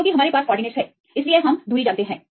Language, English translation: Hindi, Because we have the coordinates, so we know the distance